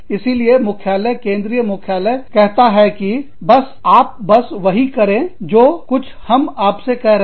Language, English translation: Hindi, So, the head office, the central headquarters say that, you know, you just do, whatever we are telling you